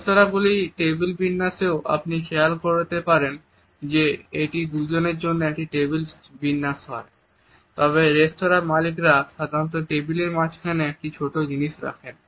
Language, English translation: Bengali, In the table setting of restaurants also you might be also noticed that if it is a table setting for the two, the restaurant owners normally put a small objects in the centre of the table